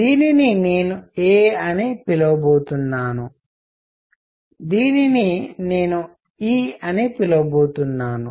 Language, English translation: Telugu, This I am going to call a; this I am going to call e